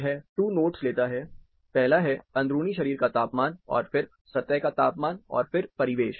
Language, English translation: Hindi, This takes two nodes, first is the core body temperature, then is the surface temperature, and then the ambiance